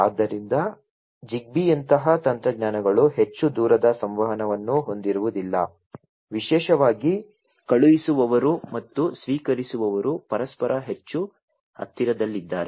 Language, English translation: Kannada, So, technologies such as ZigBee do not have too much long range of communication particularly if the sender and the receiver are not too much close to each other